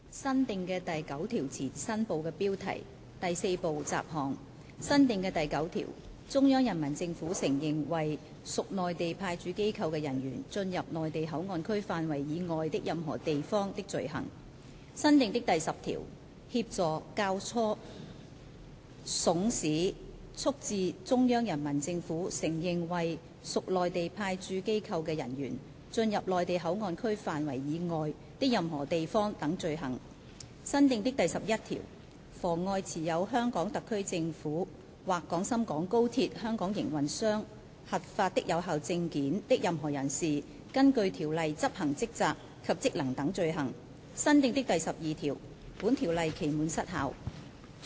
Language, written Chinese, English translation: Cantonese, 新訂的第9條前第4部雜項新部的標題新訂的第9條中央人民政府承認為屬內地派駐機構的人員進入內地口岸區範圍以外的任何地方的罪行新訂的第10條協助、教唆、慫使、促致中央人民政府承認為屬內地派駐機構的人員進入內地口岸區範圍以外的任何地方等罪行新訂的第11條妨礙持有香港特區政府或廣深港高鐵香港營運商核發的有效證件的任何人士根據條例執行職責及職能等罪行新訂的第12條本條例期滿失效。, New Part heading before new clause 9 Part 4 Miscellaneous New clause 9 Offence of persons recognized by the Central Peoples Government as officers of the Mainland Authorities Stationed at the Mainland Port Area entering any area outside the Mainland Port Area New clause 10 Offence of aiding abetting counseling or procuring persons recognized by the Central Peoples Government as officers of the Mainland Authorities Stationed at the Mainland Port Area to enter any area outside the Mainland Port Area etc . New clause 11 Offence of obstructing any person who holds a valid permit issued by the HKSAR Government or the Hong Kong operator of the Guangzhou - Shenzhen - Hong Kong Express Rail Link from performing duties and functions under this Ordinance etc . New clause 12 Expiry of this Ordinance